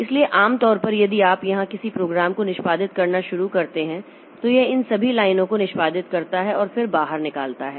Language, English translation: Hindi, So, normally if you start executing a program here, so it executes all these lines and then comes out